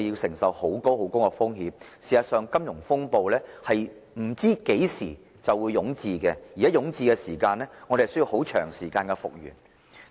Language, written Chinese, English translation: Cantonese, 事實上，我們不知何時會有金融風暴，而若遭遇金融風暴，我們需要很長時間才能復元。, As a matter of fact no one knows the onset of another financial crisis and it will take us a long time to recover from another financial turmoil